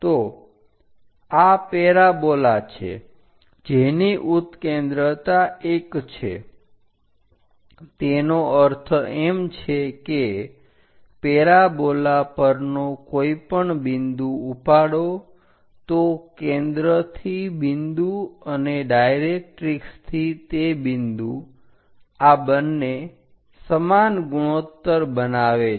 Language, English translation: Gujarati, So, this is the parabola for which eccentricity is 1 that means, pick any point on parabola focus to point and directrix to that point makes equal ratio